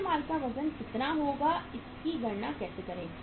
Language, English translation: Hindi, So weight of the raw material will be, how to calculate it